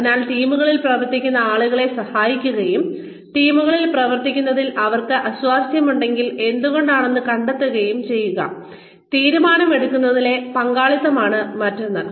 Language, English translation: Malayalam, So, helping people work in teams, and finding out, why if at all they are uncomfortable with working in teams, involvement in decision making, is another one